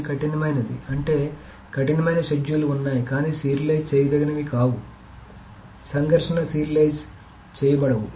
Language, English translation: Telugu, Then there can be strict schedules which are views serializable but not conflict serializable